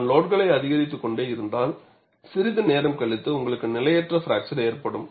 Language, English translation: Tamil, If I keep on increasing the load, after sometime, you will have a unstable fracture